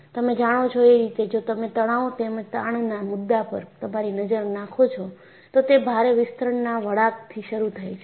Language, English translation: Gujarati, You know, if you look at the genesis of concept of stress as well as strain, it started from performing load elongation curves